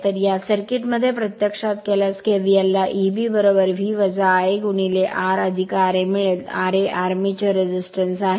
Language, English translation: Marathi, So, if you apply in this circuit kvl you will get E b is equal to V minus I a into R plus r a, r a is the armature resistance right